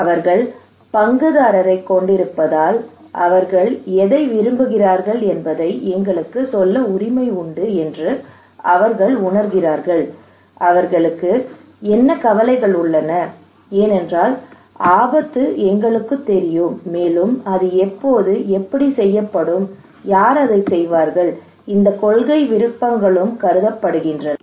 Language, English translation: Tamil, Because they have the stake so they have the right to tell us that what they want what is the concerns they have because we know not only the risk but what is to be done when do we done, how it will be done, who will do it, these policy options are also contested